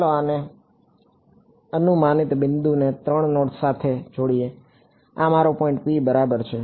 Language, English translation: Gujarati, Let us connect this, hypothetical point to the 3 nodes this is my point P ok